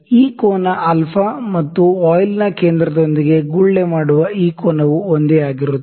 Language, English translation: Kannada, This angle alpha and this angle that the bubble makes with the centre of the voile, this angle is same